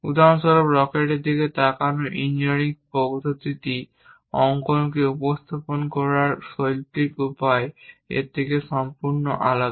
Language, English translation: Bengali, For example, the engineering way of looking at rocket is completely different from artistic way of representing drawing